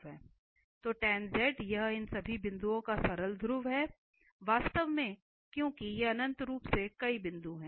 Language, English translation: Hindi, So, this tan z has simple pole at this point or all these points indeed because these are infinitely many points